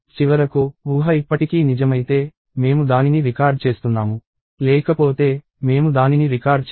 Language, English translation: Telugu, And finally, if the assumption is still true, right, I record it; otherwise, I do not record it